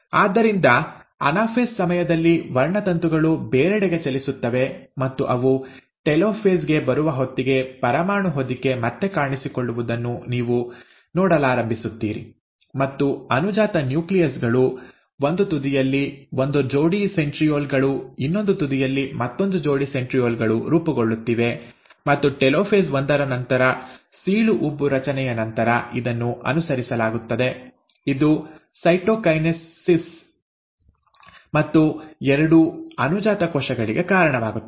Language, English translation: Kannada, So during anaphase, the chromosomes will move apart, and by the time they come to telophase, you start seeing that the nuclear envelope starts reappearing, and, the daughter nuclei are getting formed, and one pair of centrioles on one end, another pair of centrioles at the other end, and this would be followed by formation of a cleavage furrow after telophase one, leading to cytokinesis and two daughter cells